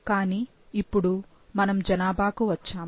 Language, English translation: Telugu, But now, we have come to a population